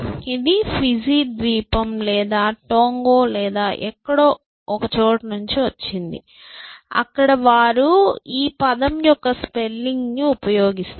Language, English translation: Telugu, This comes from some I think Fiji Island or Tonga or somewhere, where they use this spelling of the word